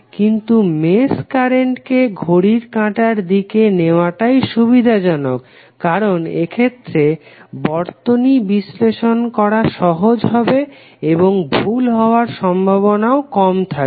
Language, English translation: Bengali, But it is conventional to assume that each mesh current flows clockwise because this will be easier for you to analyse the circuit and there would be less chances of errors